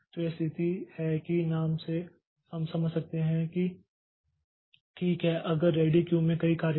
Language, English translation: Hindi, So, this is the situation that from the name we can understand that okay if there are a number of jobs in the ready queue